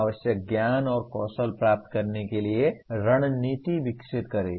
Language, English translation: Hindi, Develop strategies to acquire the required knowledge and skills